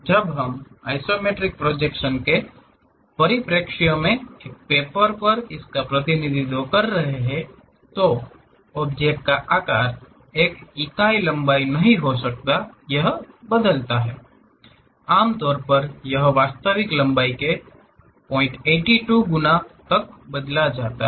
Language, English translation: Hindi, When we are representing it on a paper in the perspective of isometric projection; the object size may not be one unit length, it changes, usually it change to 0